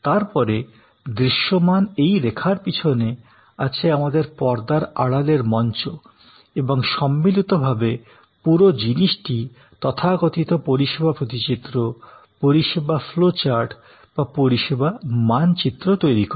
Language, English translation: Bengali, And therefore, this is the front stage and then, behind this line of visibility, we have the back stage and the whole thing together is creates the, what we call the service blue print, the service flow chat or the service map